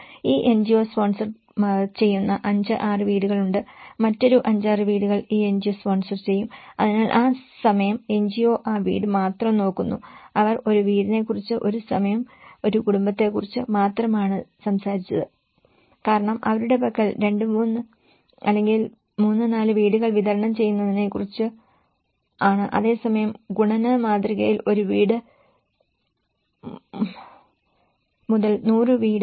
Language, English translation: Malayalam, Like what they do is sometimes approach is through a singular NGOs like okay, there are 5, 6 houses this NGO will sponsor, another 5, 6 houses this NGO will sponsor, so that time the NGO only looks at that house, they only talked about one house, one at a time, one family because their contract is all about delivering 2 or 3 or 4 houses whereas in the multiplication model from one house to a 100